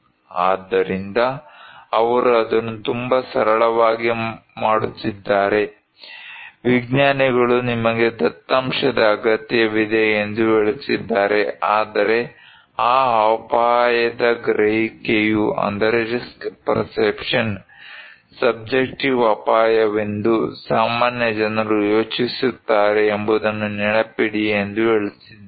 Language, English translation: Kannada, So, but they are making it very simple, the scientists are saying that you need data but remember that risk perception that is subjective risk, what laypeople think